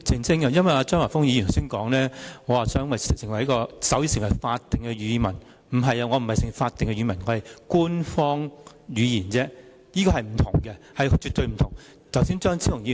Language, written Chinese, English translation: Cantonese, 張華峰議員剛才說我爭取手語成為法定語文，但我其實只是想手語成為官方語言，兩者是絕對不相同的。, Mr Christopher CHEUNG said earlier that I strive to make sign language a statutory language . However I simply want to make sign language an official language . The two are definitely different